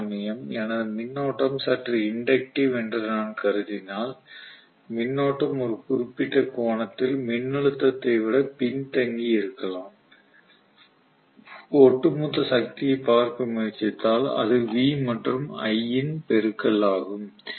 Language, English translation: Tamil, Whereas my current if I assume it is slightly inductive the current might probably lag behind the voltage by certain angle right and if I try to look at the overall power right, it is the product of V and I